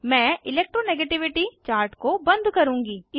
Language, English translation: Hindi, I will close the Electro negativity chart